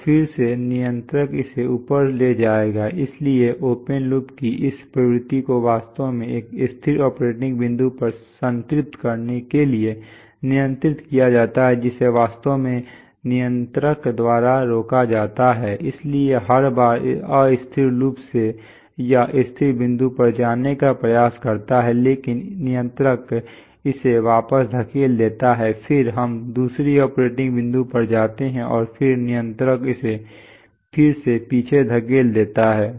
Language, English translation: Hindi, So again the controller will move it up, so under control this tendency of the open loop to actually saturate to a stable operating point is actually prevented by the controller ,so every time from an unstable loop it will tend to go to the stable point but the controller will push it back then we tend to go to the other operating point and then the controller will again push it back